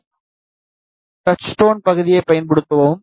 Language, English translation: Tamil, Then use this touchstone block